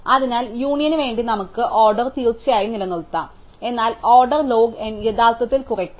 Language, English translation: Malayalam, So, we can keep the order one of course, for union, but order log n can actually be reduced